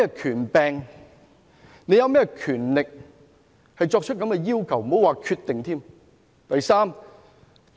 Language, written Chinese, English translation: Cantonese, 他們有甚麼權力提出這樣的要求，更不要說決定。, They have no power to make such a demand let alone make a decision